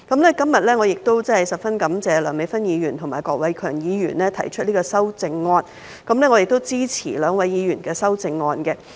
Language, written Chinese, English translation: Cantonese, 我今天十分感謝梁美芬議員和郭偉强議員提出修正案，我支持兩位議員的修正案。, Today I am very grateful to Dr Priscilla LEUNG and Mr KWOK Wai - keung for proposing their amendments both of which I support